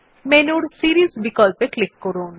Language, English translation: Bengali, Click on the Series option in the menu